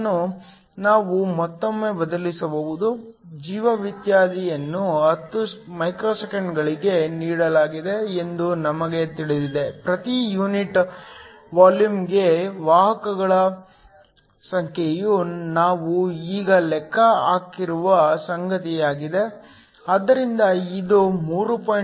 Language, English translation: Kannada, This we can again substitute, we know the life time is given to be 10 microseconds, the number of carriers per unit volume is something we just calculated, so this is equal 3